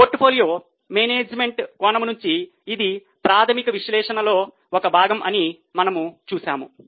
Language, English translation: Telugu, We saw that from a portfolio management angle, this is a part of fundamental analysis